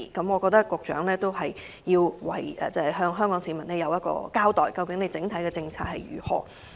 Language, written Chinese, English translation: Cantonese, 我認為，局長應向市民交代當局就此方面的整體政策為何？, I think the Secretary should explain to the public the overall policy of the Administration in this respect